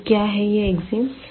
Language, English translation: Hindi, So, what are these axioms